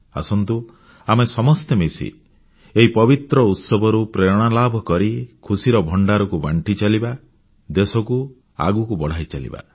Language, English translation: Odia, Let us come together and take inspiration from these holy festivals and share their joyous treasures, and take the nation forward